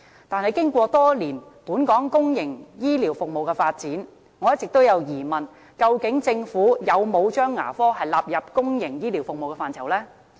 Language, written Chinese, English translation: Cantonese, 但是，經過多年本港公營醫療服務的發展，我一直有疑問，究竟政府有否將牙科納入公營醫療服務的範疇？, However throughout the years of development of the public healthcare services in Hong Kong I have all along wondered whether the Government has actually incorporated dental service into the public healthcare service